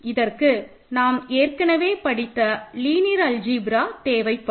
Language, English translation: Tamil, You basic linear algebra that you covered in some earlier course will be required